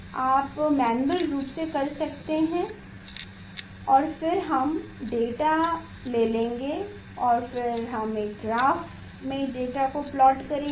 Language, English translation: Hindi, manually you can do manually you can do and then we will take the data and we will plot or the data in a graph